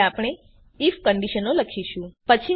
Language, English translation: Gujarati, Now we shall write the if conditions